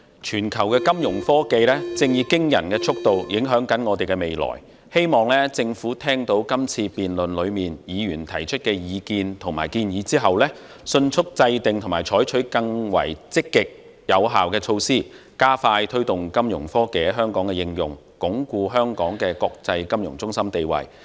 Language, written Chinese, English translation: Cantonese, 全球金融科技正以驚人速度影響着我們的未來，希望政府聽到議員在今次辯論中提出的意見和建議後，迅速制訂及採取更積極有效的措施，加快推動金融科技在香港的應用，鞏固香港的國際金融中心地位。, Financial technology Fintech is making an impact on our future at an alarming speed worldwide . After hearing the views and suggestions put forward by Members in this debate I hope that the Government will swiftly formulate and adopt more proactive and effective measures to expedite the promotion of Fintech application in Hong Kong and reinforce Hong Kongs position as an international financial centre